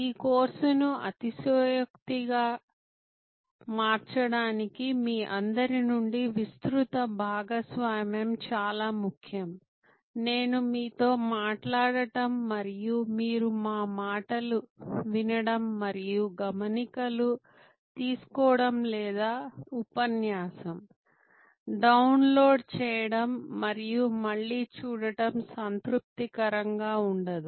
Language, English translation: Telugu, Wider participation from all of you would be very important to make this course superlative, just my talking to you and your listening and taking notes or downloading the lecture and seeing it again will not be at all satisfactory